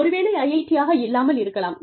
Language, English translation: Tamil, Maybe not, IIT